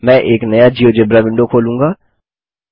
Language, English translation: Hindi, Now to the geogebra window